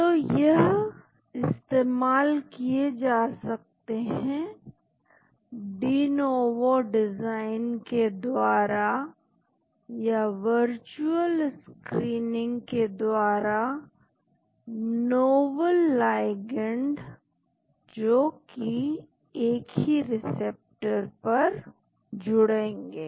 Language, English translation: Hindi, So, they can be used to identify through denovo design or virtual screening novel ligands that will bind to the same receptor